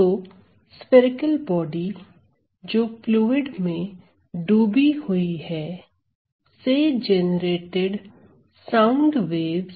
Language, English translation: Hindi, So, sound waves that are generated by a spherical body, which are immersed in a fluid